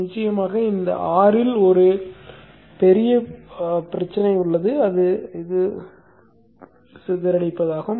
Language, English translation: Tamil, Of course there is one major problem with this R